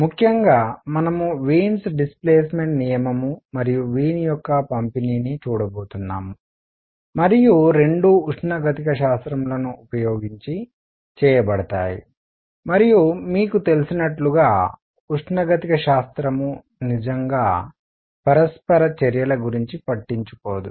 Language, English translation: Telugu, In particular, we are going to look at Wien’s displacement law and Wien’s distribution and both are done using thermodynamics and as you must know, the thermodynamic does not really care about the details of interaction